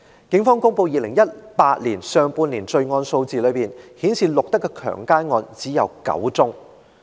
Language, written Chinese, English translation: Cantonese, 警方公布2018年上半年的罪案數字，顯示錄得的強姦案只有9宗。, The crime figures in the first half of 2018 released by the Police show that there were only nine reported cases of rape